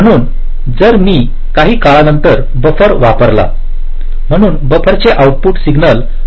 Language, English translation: Marathi, so if i introduce a buffer after some time, so the output of the buffer, this signal, will again become distortion free